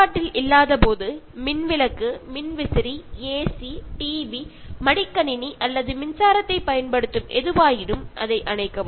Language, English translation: Tamil, Turn off the light, the fan, the AC, the TV, the laptop, or anything that makes use of electricity when it is not in use